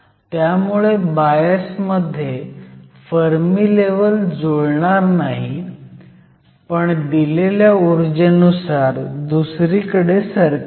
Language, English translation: Marathi, So, in bias the Fermi levels will no longer line up but, will be shifted depending upon the applied potential